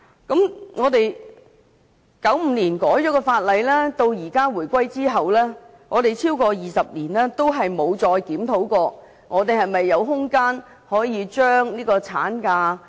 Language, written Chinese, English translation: Cantonese, 由1995年法例修訂到回歸後超過20年，我們再沒有檢討是否有空間可以延長產假。, From the legislative amendment in 1995 to more than 20 years after the reunification there has not been any review to examine whether there is any scope for extending the maternity leave duration